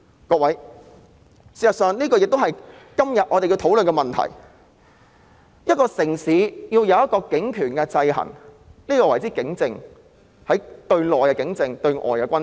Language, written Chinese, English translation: Cantonese, 各位，事實上，這亦是今天我們要討論的問題，一個城市對警權的制衡，我們稱之為警政，對內是警政，對外則是軍政。, Fellow colleagues in fact this is also the issue that we ought to discuss today . We refer the checks and balances on police power exercised by a city as policing . It is known as policing internally whereas it is known as military externally